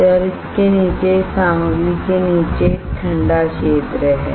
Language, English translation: Hindi, And below this material below this here there is a cooling,cooling area right